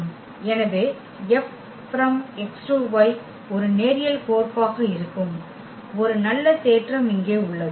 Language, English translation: Tamil, So, there is a nice theorem here that F X to Y be a linear mapping